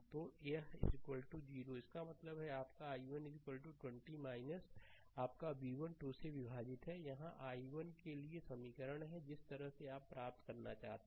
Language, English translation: Hindi, So, this is is equal to 0; that means, your i 1 is equal to 20 minus your v 1 divided by 2, this is the equation for i 1 this way you have to obtain